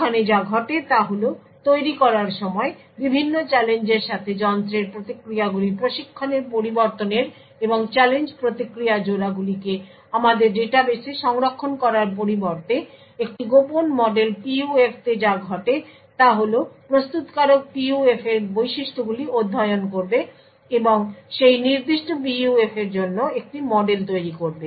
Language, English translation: Bengali, So what happens over here is at the time of manufacture instead of varying the device with different challenges of training the responses and storing the challenge response pairs in our database, what happens in a secret model PUF is that the manufacturer would study the properties of this PUF and create a model for that particular PUF